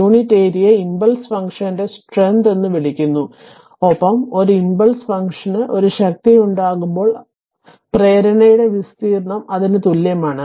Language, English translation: Malayalam, The unit area is known as the strength of the impulse function and when an impulse function has a strength other then unity, the area of the impulse is equals to it is strength right